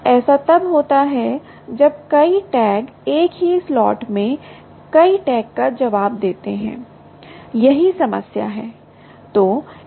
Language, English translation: Hindi, this happens when multiple tags, multiple tags, multiple tags respond, respond in the same slot